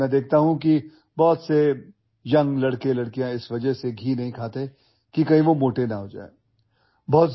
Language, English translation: Urdu, But I see that many young boys and girls do not eat ghee because they fear that they might become fat